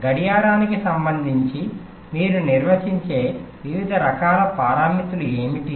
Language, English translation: Telugu, what are the different kinds of parameters that you define with respect to a clock